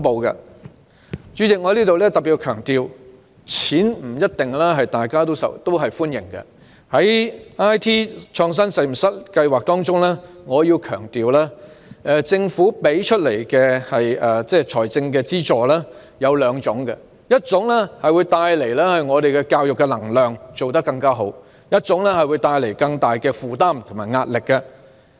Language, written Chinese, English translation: Cantonese, 代理主席，我再特別強調，大家不一定歡迎撥款，在"中學 IT 創新實驗室"計劃下，政府提供的財政資助有兩種，一種會帶來教育能量，做得更好，令一種則會帶來更大的負擔及壓力。, Deputy President I particularly stress that funding may not necessarily be welcomed . Under the IT Innovation Lab in Secondary Schools Programme there are two types of financial assistance provided by the Government . One of them will create energy to provide better education while another will create more burden and pressure